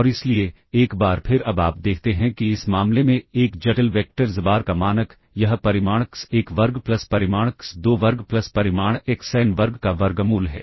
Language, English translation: Hindi, And therefore, once again now you see that in this case the norm of a complex vector xbar, this is square root of magnitude x1 square plus magnitude x2 square plus magnitude xn square